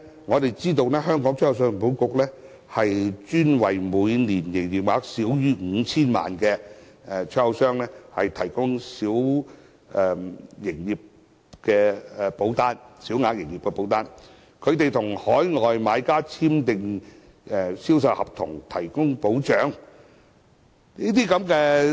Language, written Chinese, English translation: Cantonese, 我們知道信保局專為每年營業額少於 5,000 萬元的出口商提供小營業額保單，為出口商與海外買家簽訂銷售合約，提供保障。, I know that ECIC specifically introduces the Small Business Policy SBP for exporters with an annual turnover of less than 50 million in order to offer insurance protection to exporters regarding contracts of sale with overseas buyers